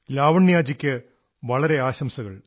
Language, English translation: Malayalam, Lavanya ji many congratulations to you